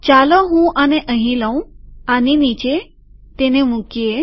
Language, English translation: Gujarati, Let me take this here, below this, put it